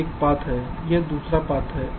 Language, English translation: Hindi, this is one path, this is another path